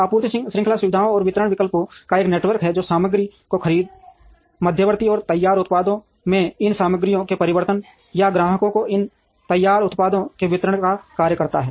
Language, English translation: Hindi, Supply chain is a network of facilities and distribution options that performs the function of procurement of materials, transformation of these materials into intermediate and finished products and distribution of these finished products to the customers